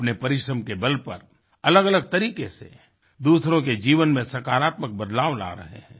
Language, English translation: Hindi, They, by their diligence, are powering positive changes in the lives of others in myriad ways